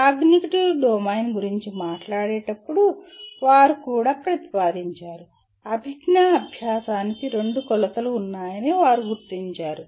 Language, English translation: Telugu, And then came the so called, they proposed also while talking about the cognitive domain, they identified that there are two dimensions to cognitive learning